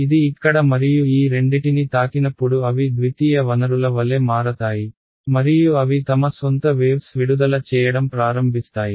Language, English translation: Telugu, When it hits over here this and these two guys they become like secondary sources and they start emitting their own waves